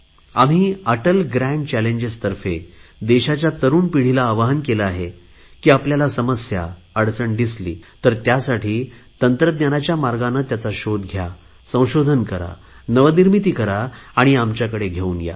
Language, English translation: Marathi, Through the 'Atal Grand Challenges' we have exhorted the young generation of the country that if they see problems, they should search for solutions taking the path of technology, doing research, applying innovations and bring those on board